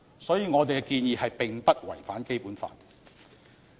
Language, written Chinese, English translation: Cantonese, 所以，我們的建議並不違反《基本法》。, Hence our proposal does not violate the Basic Law